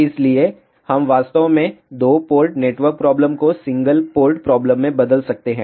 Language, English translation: Hindi, So, we can actually convert a two port network problem into a single port problem